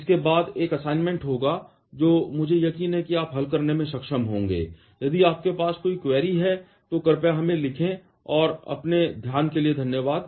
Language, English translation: Hindi, This will be followed by an assignment, which I am sure that you will be able to solve, if whenever you have any query you please write to us and thanks for your attention